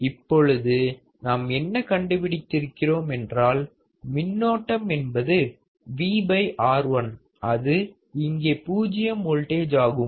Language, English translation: Tamil, Now, if I see that then what I would find that is current here is nothing but V by R1 here will be V by R 1, that equals to zero volts